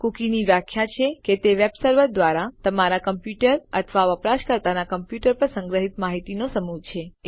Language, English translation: Gujarati, The definition of a cookie is a set of data stored on your computer or the users computer by the web server